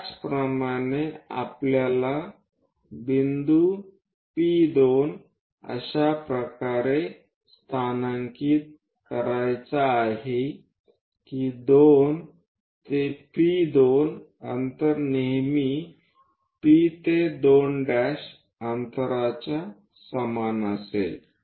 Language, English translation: Marathi, Similarly, we have to locate point P2 in such a way that 2 to P2 distance always be equal to P to 2 prime distance